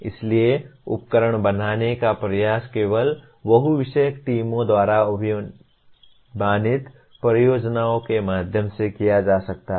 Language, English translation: Hindi, So creation of tools can only be attempted through projects preferably by multidisciplinary teams